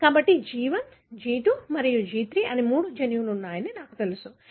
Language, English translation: Telugu, So, I know there are three genes G1, G2 and G3